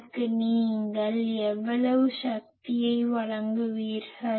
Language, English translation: Tamil, How much power you will deliver to it